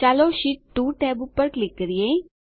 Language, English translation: Gujarati, Lets click on the Sheet 2 tab